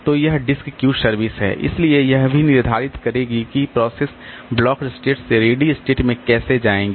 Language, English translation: Hindi, So, this disk queue service so that will also determine how the processes will move from blocked state to the ready state